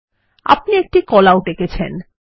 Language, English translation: Bengali, You have drawn a Callout